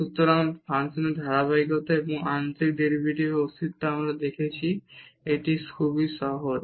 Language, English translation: Bengali, So, the continuity of the function and the existence of the partial derivative we have seen it is a easy